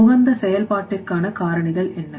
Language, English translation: Tamil, Factors for optimal functioning